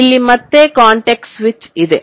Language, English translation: Kannada, So, there is again a context switch